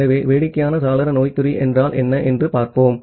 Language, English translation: Tamil, So, let us see that what is silly window syndrome